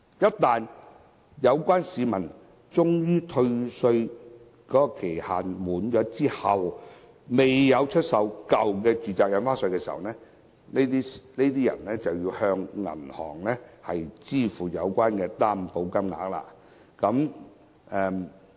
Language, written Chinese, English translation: Cantonese, 一旦有關的退稅期限屆滿，但市民還未出售舊有住宅物業，他們便要向銀行支付有關的擔保金額。, If members of the public fail to dispose of their original residential properties upon expiry of the statutory time limit for tax refund they will have to pay the guaranteed amounts to the bank